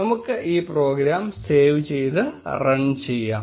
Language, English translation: Malayalam, Let us save this program and run it